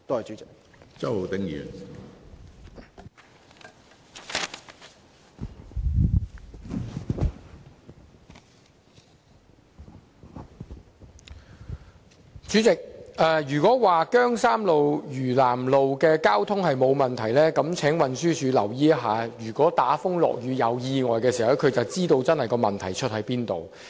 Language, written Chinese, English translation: Cantonese, 主席，如果運輸署認為姜山道、嶼南道的交通沒有問題，那麼該署只要留意打風落雨時發生的交通意外，便會知道問題的癥結。, President if TD thinks that there is no traffic problem on Keung Shan Road and South Lantau Road it should pay attention to the traffic accidents that occurred in bad weather and then it will be able to find out the crux of the problem